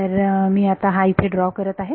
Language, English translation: Marathi, So, I will draw this here